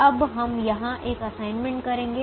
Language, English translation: Hindi, now we say that we are going to make an assignment here